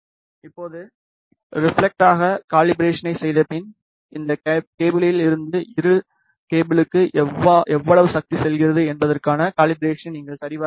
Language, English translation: Tamil, Now, after doing the calibration for reflection you should check the calibration for how much power is going from this cable to this cable